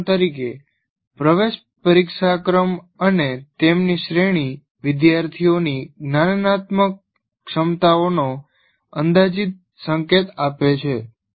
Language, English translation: Gujarati, For example, entrance test ranks and their range is an approximate indication of the cognitive abilities of the students